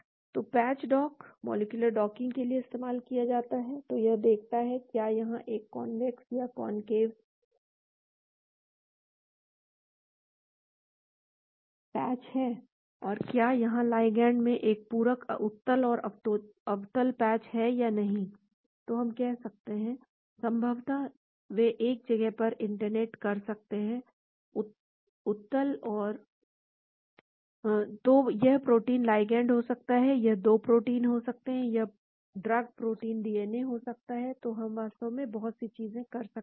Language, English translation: Hindi, So, patch dock can be used for moleculardocking, so it sees whether there is a convex patch, concave patch and whether there is a complementing convex and concave patch in the ligand, so we can say possibly they could be interacting at a place, so it could be protein ligand, it could be 2 proteins, it could be drug, protein, DNA, so many things we can do that actually